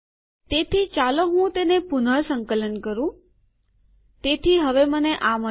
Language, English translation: Gujarati, So let me re compile it, so now I have got this